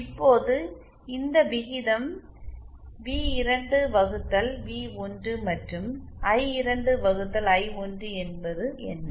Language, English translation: Tamil, Now what is this ratio v2 upon v1 and I2 upon I1